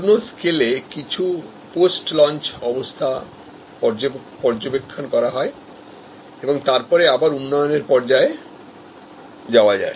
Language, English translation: Bengali, In full scale, do some post launch view and then, again come to the development stage